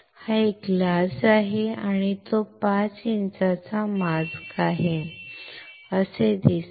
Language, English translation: Marathi, This is a glass and it is a 5 inch mask, it looks like this